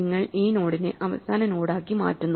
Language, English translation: Malayalam, So, you make this node the last node